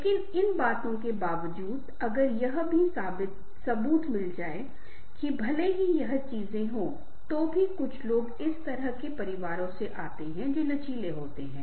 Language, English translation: Hindi, also, if find the evidence that, even if these things are there, some people also come from that sort of families, those who are resilient